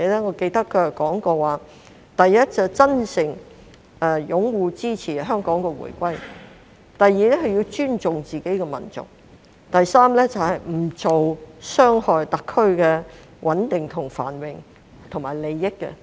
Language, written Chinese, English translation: Cantonese, 我記得他說過，第一，是真誠擁護支持香港回歸；第二，要尊重自己的民族；第三，不做傷害特區的穩定繁榮及利益的事。, I remember that he said firstly they must sincerely support the return of Hong Kong; secondly they must respect their own nation; and thirdly they must not harm the stability prosperity and interests of SAR